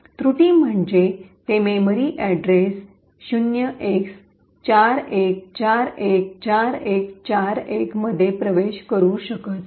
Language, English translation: Marathi, The error is it cannot access memory at address 0X41414141